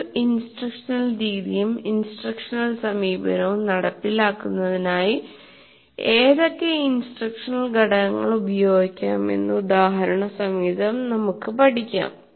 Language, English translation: Malayalam, And then we talk about the evidence based instructional components which are combined to implement an instructional method and an instructional approach